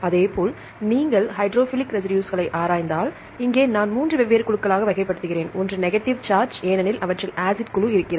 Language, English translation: Tamil, Likewise if you look into the hydrophilic residues, here I classify into 3 different groups, one is negative charge and because it contains the acid group